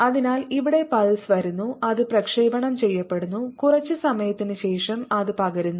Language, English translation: Malayalam, so here is the pulse coming and it is getting transmitted after sometime